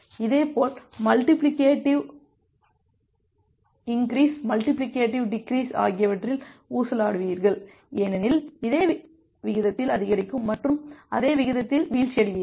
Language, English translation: Tamil, Similarly on the multiplicative increase and the multiplicative decrease, you will oscillate on the this efficiency line because you will increase in the same rate and drop in the same rate